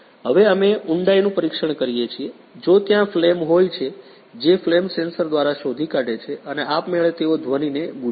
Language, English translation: Gujarati, Now we are test the depth if there it is a flame which detect by the flame sensor and automatically they buzzer the sound